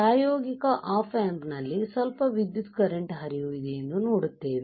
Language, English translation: Kannada, In practical op amps we see that there is some flow of current